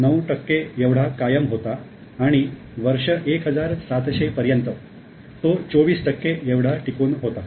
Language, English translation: Marathi, 9 percent of the global GDP and as much as 1700 it was as high as 24 percent